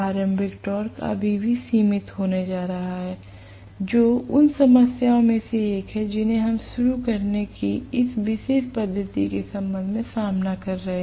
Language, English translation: Hindi, The starting torque is going to be still limited that is one of the problems that we are going to face with respect to this particular method of starting right